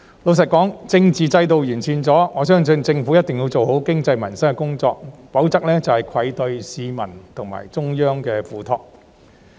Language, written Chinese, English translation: Cantonese, 老實說，政治制度在得到完善後，我相信政府一定要做好經濟及民生的工作，否則便愧對市民及中央的託付。, To be honest following the improvement of the political system I believe that the Government definitely has to do a good job in relation to the economy and peoples livelihood otherwise it will let the people and the Central Government down over their entrustment